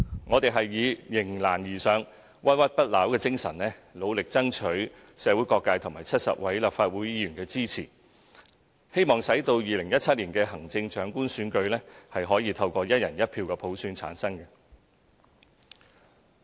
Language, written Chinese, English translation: Cantonese, 我們以迎難而上、不屈不撓的精神，努力爭取社會各界和70位立法會議員的支持，希望使2017年的行政長官選舉可以透過"一人一票"普選產生。, Rising to the challenges ahead with resilience we strove for the support of various sectors in society and the 70 Legislative Council Members in the hope that the Chief Executive Election in 2017 would be conducted by way of universal suffrage of one person one vote